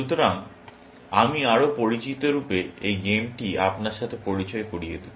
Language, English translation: Bengali, So, let me introduce this game to you in more familiar setting